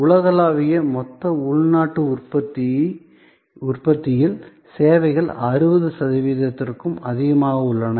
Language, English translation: Tamil, So, services account for more than 60 percent of the GDP worldwide